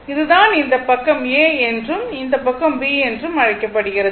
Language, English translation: Tamil, Suppose, this is your what you call this side is A and this side is B